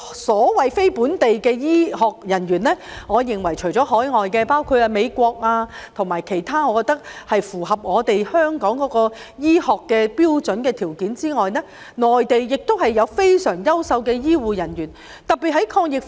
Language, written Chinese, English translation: Cantonese, 所謂非本地醫護人員，我認為除了海外，包括美國及其他國家能符合香港醫學標準和條件外，內地也有非常優秀的醫護人員。, Speaking of these so - called non - local healthcare personnel I think that in addition to those coming from overseas including the US and other countries who can meet the medical standards and criteria of Hong Kong there are also excellent healthcare personnel in the Mainland